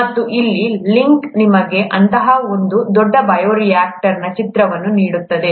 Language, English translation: Kannada, And this link here gives you an image of one such large bioreactor